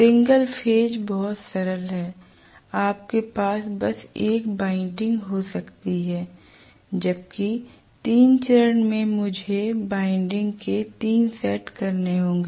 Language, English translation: Hindi, Right, single phase is much simpler, you can just have one winding that is it forget about it whereas here I have to have 3 sets of windings